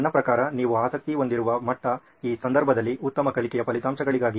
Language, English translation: Kannada, I mean the level that you are interested in, which in this case is for better learning outcomes